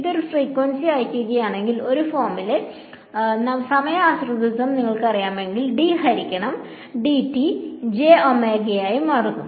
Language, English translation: Malayalam, If it is sending a single frequency, then if I substitute you know the time dependence of this form, then d by dt becomes j omega